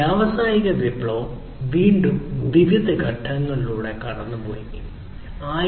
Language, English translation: Malayalam, So, the industrial revolution again went through different stages